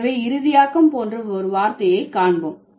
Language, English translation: Tamil, So, let's say I'm thinking about a word like finalizing, okay